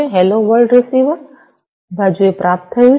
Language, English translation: Gujarati, Hello world has been received at the receiver side right